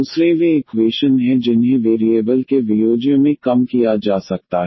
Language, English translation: Hindi, The other one there are equations which can be reduced to the separable of variables